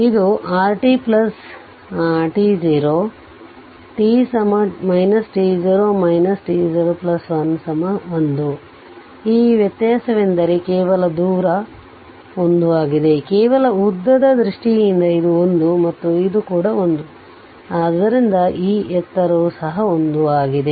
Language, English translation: Kannada, And this difference I mean only distance, only distance this difference actually this difference actually it is 1, in terms of just length this 1 and this is this is also 1, so the this height is also 1